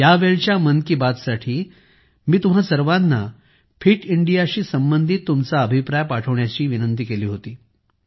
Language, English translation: Marathi, For this 'Mann Ki Baat', I had requested all of you to send inputs related to Fit India